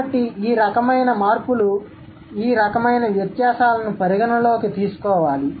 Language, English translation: Telugu, So, these kind of changes or these kind of differences should be accounted for